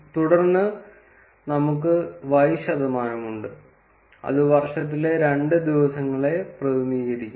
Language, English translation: Malayalam, And then we have percentage y, which represents two days for the year